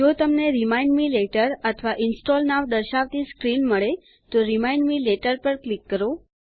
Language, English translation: Gujarati, If you get a screen saying Remind me later or Install now, click on Remind me later